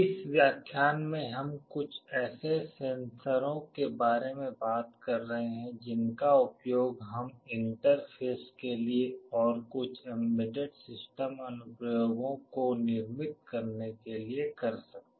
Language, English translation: Hindi, We shall be talking about some of the sensors that we can use for interfacing and for building some embedded system applications in this lecture